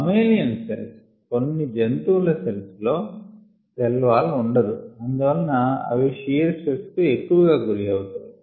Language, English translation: Telugu, the mammalian cells and animal cells, do not have a cell wall and therefore they could be more susceptible to shear stress